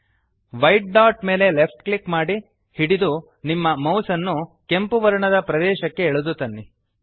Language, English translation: Kannada, Left click the white dot, hold and drag your mouse to the red area